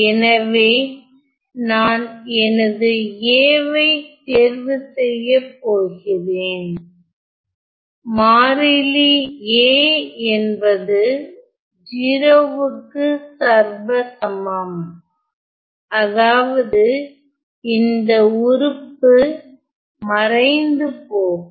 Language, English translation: Tamil, So, I am going to choose my A; the constant A to be identically 0 so, that this term vanishes ok